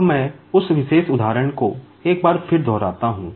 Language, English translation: Hindi, Now, let me repeat that particular example once again